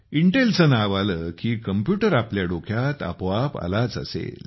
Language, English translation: Marathi, With reference to the name Intel, the computer would have come automatically to your mind